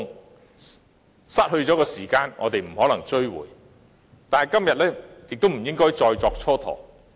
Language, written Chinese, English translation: Cantonese, 我們不能追回失去了的時間，但今天亦不應該再作蹉跎。, While we cannot recover the time lost we should not waste any more time today